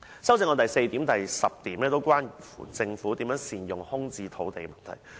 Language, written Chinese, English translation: Cantonese, 修正案的第四項及第十項關乎政府如何善用空置土地的問題。, Parts 4 and 10 of my amendment are about how the Government can make good use of vacant land